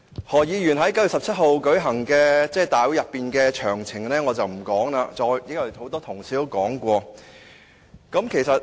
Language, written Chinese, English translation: Cantonese, 何議員在9月17日舉行的集會上曾做甚麼，我不再詳細複述，因為很多同事已經說過。, I will not repeat in detail what Dr HO had done during the rally on 17 September as many of our colleagues had already covered it